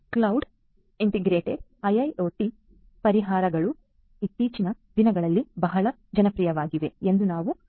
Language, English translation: Kannada, So, now, we have also seen that cloud integrated IIoT solutions are very popular nowadays